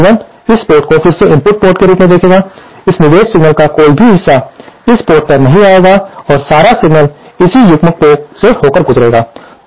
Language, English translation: Hindi, Now this B1 will again see this port as the input port, no part of this input signal here will go to this port and all the signal will pass through this coupled port